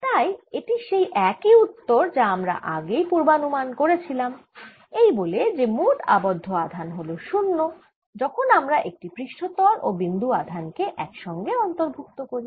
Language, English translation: Bengali, so this is the same answer as we anticipated earlier by saying that the bound charge is net bound charge is zero when i include a surface and the point bound charge